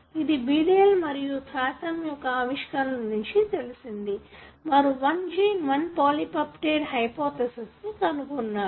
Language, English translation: Telugu, This had come from the discoveries by Beadle and Tatum who proposed the hypothesis what is called, one gene one polypeptide hypothesis